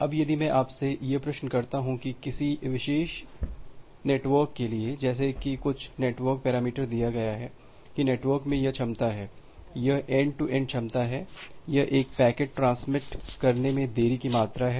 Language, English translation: Hindi, Now, if I ask you the question that for a typical network like said some network parameter is given that the network has this capacity, this end to end capacity, this is the amount of delay for transmitting a packet